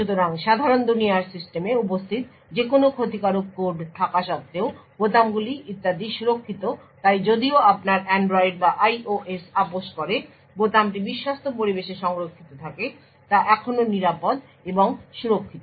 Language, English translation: Bengali, So, the keys and so on are secure in spite of any malicious code that is present in the normal world system so even if your Android or IOS is compromised still the key is stored in the trusted environment is still safe and secure